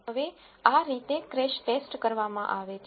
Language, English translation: Gujarati, Now, this is how a crash test is performed